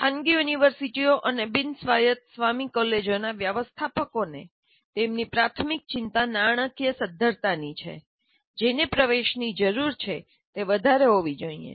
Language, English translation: Gujarati, Now, management of private universities and non autonomous colleges have their primary concern as a financial viability which requires admission should be high